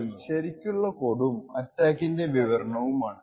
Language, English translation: Malayalam, So, what we will see now is the actual code and a demonstration of the attack